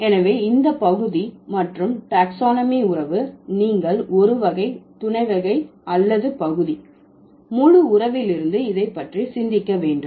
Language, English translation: Tamil, So, this partonomic and taxonomic relation, you have to, you have to think about it from a, from a type, subtype or part whole relation